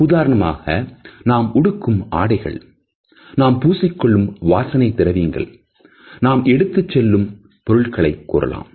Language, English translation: Tamil, For example, the dress we wear the smell which we wear the accessories which we carry with us